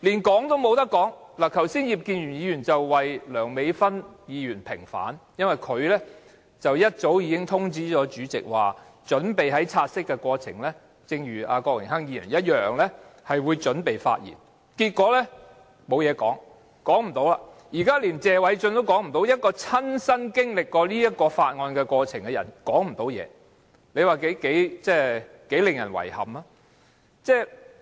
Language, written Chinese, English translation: Cantonese, 剛才葉建源議員為梁美芬議員平反，因為她早已通知主席會像郭榮鏗議員般，在討論"察悉議案"時發言，但結果她無話可說，現在連謝偉俊議員也無話可說，連曾親身經歷附屬法例涉及的過程的人也無話可說，這是令人十分遺憾的事。, Mr IP Kin - yuen has vindicated Dr Priscilla LEUNG just now as she had informed the President earlier that she would speak when discussing the take - note motion as in the case of Mr Dennis KWOK . However she ultimately has nothing to say and now even Mr Paul TSE has nothing to say . It is a pity that even the person who has personal experience of the process involved in the subsidiary legislation has nothing to say